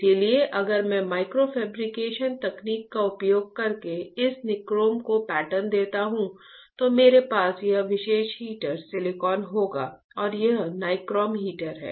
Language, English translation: Hindi, So, if I pattern this nichrome using a micro fabrication technology, then I will have this particular heater silicon and this is my nichrome heater, alright